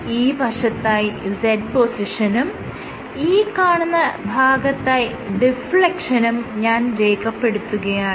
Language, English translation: Malayalam, So, let us say this is z position and this is deflection